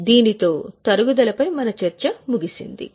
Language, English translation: Telugu, So, with this our discussion on depreciation is over